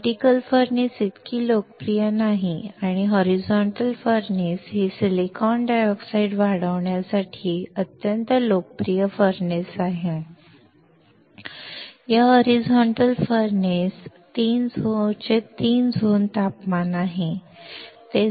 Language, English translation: Marathi, Vertical furnace is not so popular and horizontal furnace is the extremely popular furnace to grow the silicon dioxide